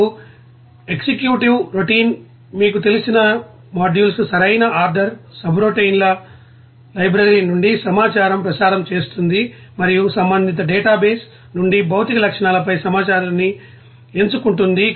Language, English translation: Telugu, Now, an executive routine calls the modules in the you know proper order transmits information from a library of subroutines and picks out information on physical properties from an associated database